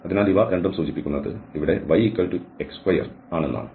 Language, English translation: Malayalam, So, these 2 implies that we have here that y equal to x square